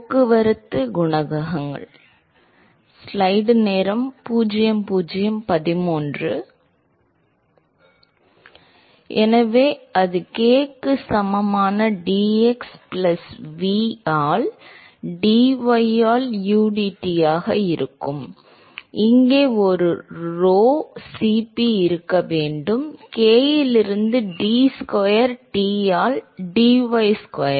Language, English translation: Tamil, So, that will be udT by dx plus v by dy that is equal to k, there should be a rho Cp here, k into d square T by dy square